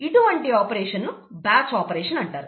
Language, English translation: Telugu, In such an operation, rather such an operation is called a batch operation